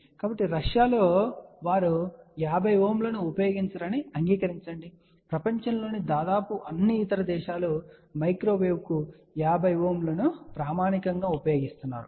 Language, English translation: Telugu, So, accept in Russia where they do not use 50 ohm, almost all the other countries in the world use 50 ohm as standard for microwave